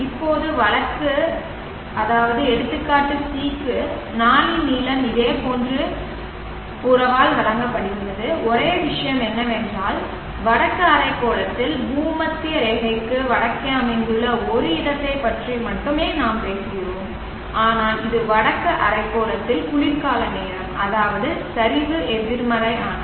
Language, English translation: Tamil, Now for case c, the length of the day is given by a similar relationship only thing is that we are talking of a place located in the northern hemisphere, north of the Equator but it is winter time in the northern hemisphere which means the declination is negative